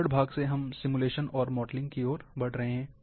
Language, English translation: Hindi, From the description part, we are moving towards simulation and modelling